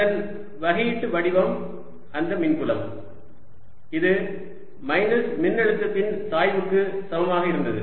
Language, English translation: Tamil, its differential form was that electric field, it was equal to minus the gradient of electric potential